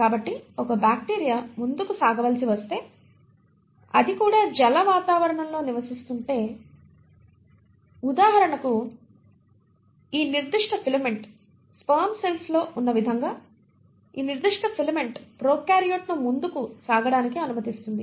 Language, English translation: Telugu, So if a bacteria has to move forward and it is residing in an aquatic environment for example, this particular filament, the way you have it in sperm cells, this particular filament allows the prokaryote to move forward